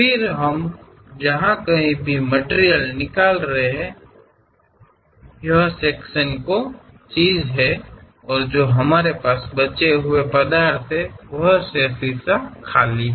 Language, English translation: Hindi, Then wherever the material we are removing, this sectional thing; we have left over material there, remaining part is empty